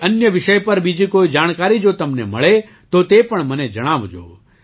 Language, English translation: Gujarati, If you get any more information on any other subject, then tell me that as well